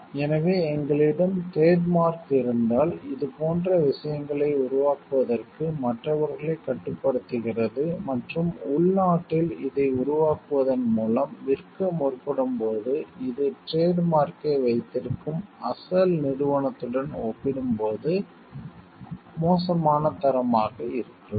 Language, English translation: Tamil, So, if we have a trademark, then it puts a restriction on others to create similar kind of things and like sell it in the; in by developing this localize, which may be poor a quality as compared to the original company who is having the trademark